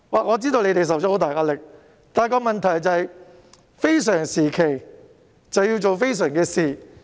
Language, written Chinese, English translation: Cantonese, 我知道政府承受很大壓力，但問題是，非常時期要做非常的事。, I know that the Government is faced with great pressure but my point is extraordinary things must be done at extraordinary times